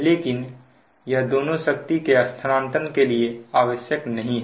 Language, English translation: Hindi, but this is not require for power transformer transfer